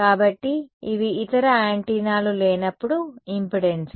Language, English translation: Telugu, So, these are the impedances in the absence of the other antennas